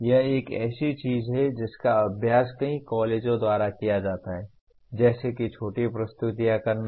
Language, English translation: Hindi, This is something that is practiced by several colleges like for making short presentations